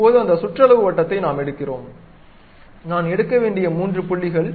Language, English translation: Tamil, Now, we are picking that perimeter circle, three points I have to pick